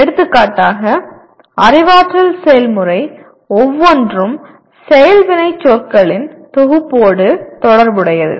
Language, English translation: Tamil, For example each one of the cognitive process is associated with a set of action verbs